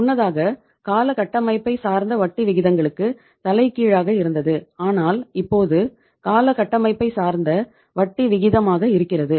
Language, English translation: Tamil, Earlier it was the reverse of the term structure of interest rates but now it is a term structure of interest rate